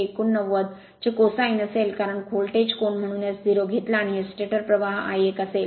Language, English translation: Marathi, 89 because voltage angle is therefore, taken as 0 and this is the stator current I 1